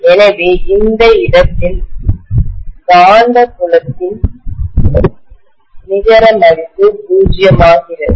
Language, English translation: Tamil, So the net value of magnetic field becomes 0 at this point